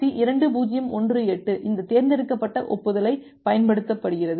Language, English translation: Tamil, So, RFC 2018 it uses this selective acknowledgement